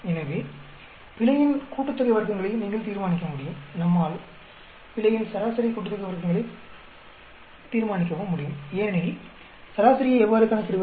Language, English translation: Tamil, So, you will be able to determine the sum of squares of error and we can also determine the mean sum of squares of error; because, how do we calculate mean